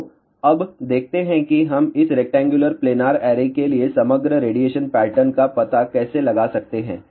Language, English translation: Hindi, So, now, let us see how we can find out the overall radiation pattern for this rectangular planar array